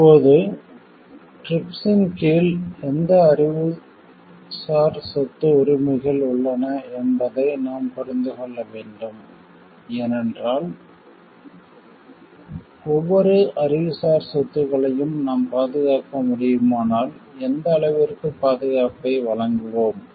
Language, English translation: Tamil, Now, we have to understand which Intellectual Property Rights are covered under TRIPS because can we protect every Intellectual Property if we can protect to what extent will we give the protection